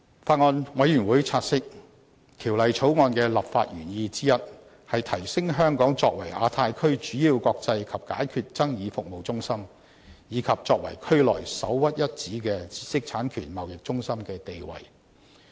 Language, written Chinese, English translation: Cantonese, 法案委員會察悉，《條例草案》的立法原意之一，是提升香港作為亞太區主要國際法律及解決爭議服務中心，以及作為區內首屈一指的知識產權貿易中心的地位。, The Bills Committee notes that one of the legislative intents of the Bill is to enhance Hong Kongs status as a leading centre for international legal and dispute resolution services and a premier hub for IP trading in the Asia - Pacific Region